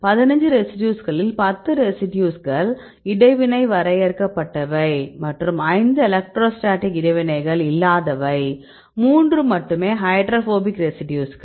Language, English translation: Tamil, Among the 15 residues if you see 10 residues which are involved in cutoff an interactions and 5 are no electrostatic interactions, only 3 are hydrophobic residues